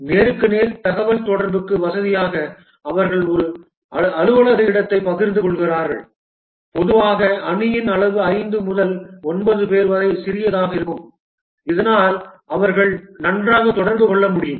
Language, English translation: Tamil, To facilitate face to face communication, they share a single office space and typically the team size is small, 5 to 9 people so that they can interact well